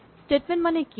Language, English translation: Assamese, What is a statement